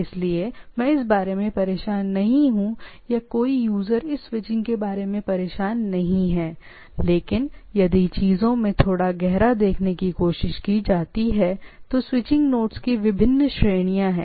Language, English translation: Hindi, So, I am not bothered about this or a user is not bothered about this switching things, but if you look try to look a little deep into things, so there are different category of switching nodes